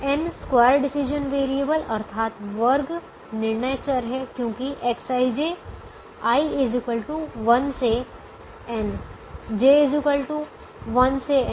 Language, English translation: Hindi, there are n square decision variables because x, i, j, i equal to one to n, j equal to one to n